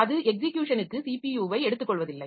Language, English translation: Tamil, So, that is not taking the CPU for execution